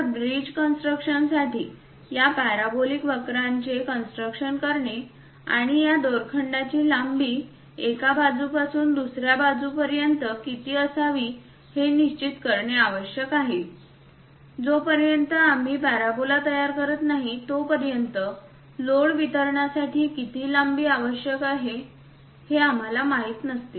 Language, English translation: Marathi, So, for bridge construction also constructing these parabolic curves and determining what should be this rope length from one point to other point is very much required; unless we construct the parabola, we will not be in a position to know how much length it is supposed to have for the load distribution